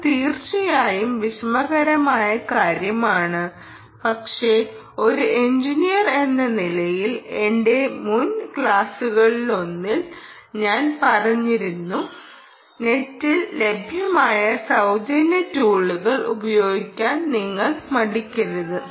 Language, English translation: Malayalam, well, that is indeed the hard problem, but as an engineer, i did mention in one of my previous ah classes that you should not hesitate to use the free tools that are available on the net